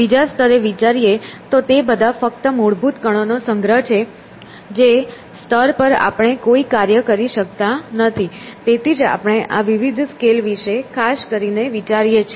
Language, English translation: Gujarati, At another level, it is all just collections of fundamental particles which we have already agreed that we cannot deal with at that level; that is why we think of these different scales especially, okay